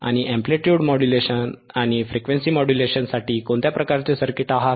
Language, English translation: Marathi, right a And what kind of circuits are there for amplitude modulation, and frequency modulation